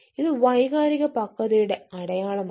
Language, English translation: Malayalam, this is also sign of emotional maturity